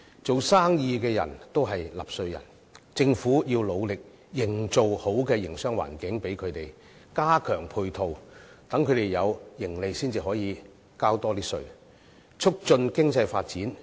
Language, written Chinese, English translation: Cantonese, 做生意的都是納稅人，政府要努力為他們營造良好的營商環境，加強配套，讓他們有盈利，然後才可以交更多稅款，促進經濟發展。, Businessmen are taxpayers too . The Government must make an effort to create a good business environment for them and provide them with enhanced support to enable them to make a profit so that they can pay more tax to facilitate economic development